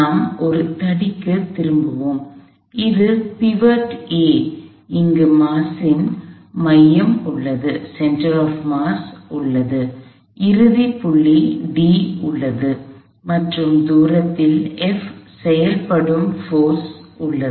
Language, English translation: Tamil, So, let us go back to a rod this is the pivot A, there is the center of the mass, there is the end point d and there is the force f acting at a distance d